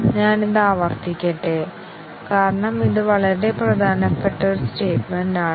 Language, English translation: Malayalam, Let me repeat that because this is a very important statement